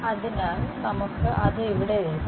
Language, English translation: Malayalam, So, let us write it down over here